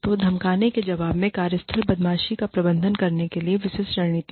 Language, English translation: Hindi, So, specific strategies to manage workplace bullying, in response to the bully